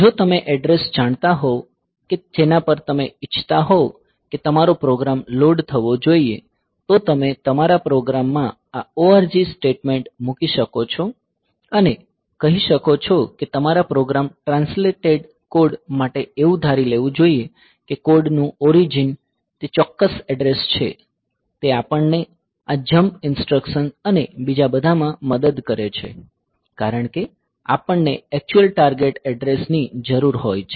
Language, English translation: Gujarati, So, you can put this org statement in the in your program to tell that the your program translated code should assumed that the origin of the code is that particular address; this helps in the jump instructions and all because we need to the actual target address